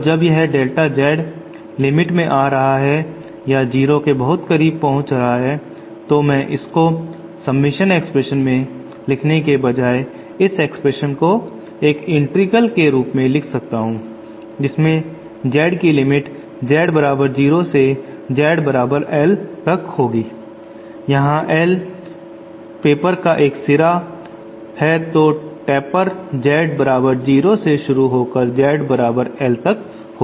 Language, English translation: Hindi, And since this delta Z is approaching in the limit that it is approaching 0 I can write this instead of submission expression, I can write this expression as an integral whose limits are from Z to Z equal to 0 Z equal to capital L capital L is one end of the paper then the beginning of the taper is Z equal to 0 then the end is at Z equal to Capital L